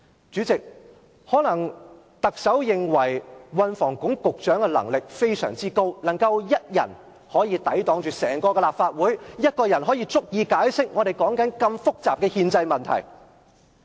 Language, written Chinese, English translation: Cantonese, 主席，特首可能認為運房局局長的能力非常高，能夠以一人抵擋整個立法會，單身一人便足以解釋我們現正討論的如此複雜的憲制問題。, President the Chief Executive may consider the Secretary for Transport and Housing very talented and further believes that he is able to deal with the entire Legislative Council unaided capable of explaining to us single - handedly the highly complicated constitutional issues in the debate